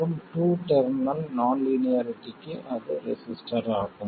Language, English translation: Tamil, And for a two terminal non linearity that is a resistor